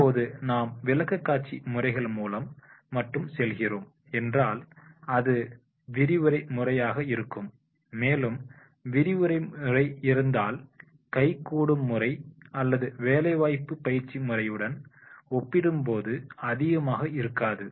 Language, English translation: Tamil, Now if we are going only through the presentation methods then that will be the lecture method and if the lecture method is there then the grasping that that will not be high as compared to hands on method or that is the on the job training methods